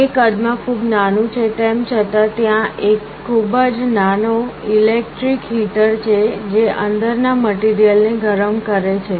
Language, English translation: Gujarati, Although it is very small in size, there is a very small electric heater that heats up the material inside